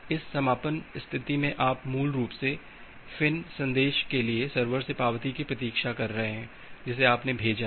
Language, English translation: Hindi, In this closing state you are basically waiting for the acknowledgement from the server for this finish message that you have sent